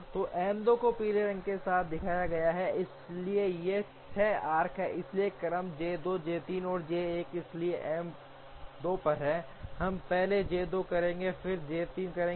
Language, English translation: Hindi, So, M 2 is shown with the yellow color, so these 6 arcs are there, so the sequences J 2, J 3, and J 1, so first on M 2, we will first do J 2, then we will do J 3 and then we will do J 1